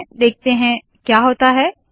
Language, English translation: Hindi, Lets see what happens